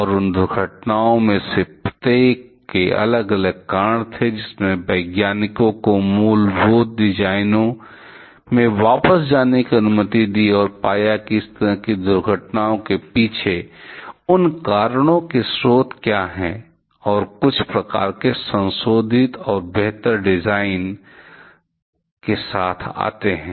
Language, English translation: Hindi, And each of those accidents had different reasons, which allowed the scientist through go back to the fundamental designs and find what are the sources of those reasons behind such kind of accidents and come up with some kind of modified and improved design